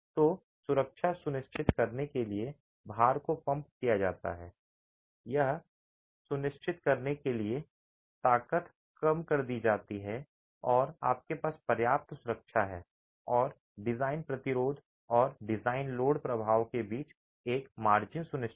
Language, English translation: Hindi, So the load is pumped up to ensure safety, the strengths are reduced to ensure that you have sufficient safety and a margin between the design resistance and the design load effect is ensured